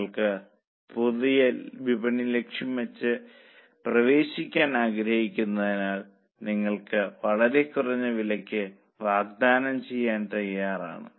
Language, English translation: Malayalam, That since you want to target and enter a new market, you are willing to offer at a much lesser price